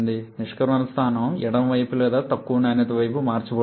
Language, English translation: Telugu, The exit point is getting shifted towards left or towards lower quality side